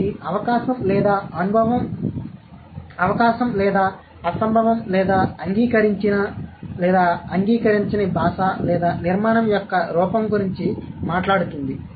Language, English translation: Telugu, It talks about possibility or impossibility or accepted, non accepted form of language or form of a construction